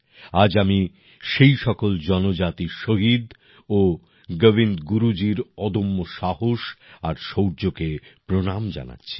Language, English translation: Bengali, Today I bow to all those tribal martyrs and the indomitable courage and valor of Govind Guru ji